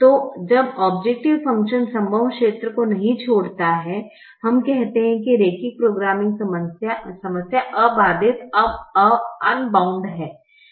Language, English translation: Hindi, so when the objective function does not leave the feasible region, we say that the linear programming problem is unbounded